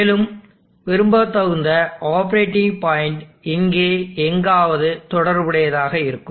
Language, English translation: Tamil, And the optimal desired operating point would be somewhere corresponding here